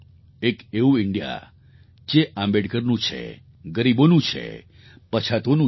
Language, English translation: Gujarati, It is an India which is Ambedkar's India, of the poor and the backward